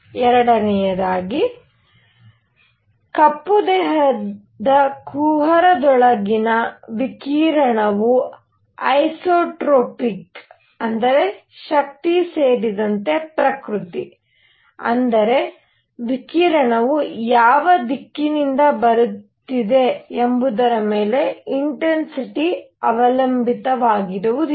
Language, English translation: Kannada, Number 2; the radiation inside a black body cavity is isotropic what; that means, is nature including strength; that means, intensity does not depend on which direction radiation is coming from